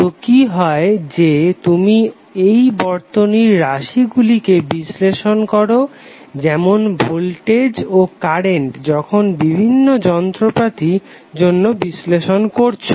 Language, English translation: Bengali, So what happens that you will analyze these circuit parameters like voltage and current while doing the analysis for various appliances